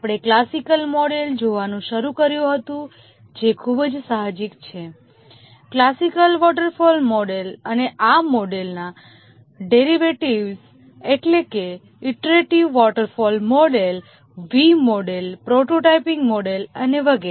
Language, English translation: Gujarati, We had started looking at the classical model which is very intuitive, the classical waterfall model and the derivatives of this model, namely the iterative waterfall model, looked at the V model, prototyping model, and so on